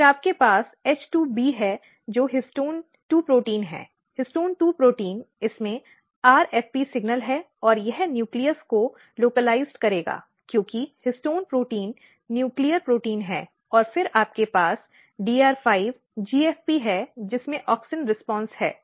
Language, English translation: Hindi, Then you have H2B which is histone 2 protein, histone 2 protein basically it has RFP signal and it will localize to the nucleus because histone protein is nuclear protein, and then you have DR5 GFP which has basically auxin response and if you look very carefully here